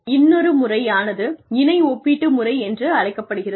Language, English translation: Tamil, Another method is called the paired comparison method